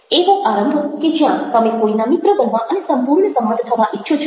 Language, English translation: Gujarati, opening where you want to make friends with somebody and be in total agreement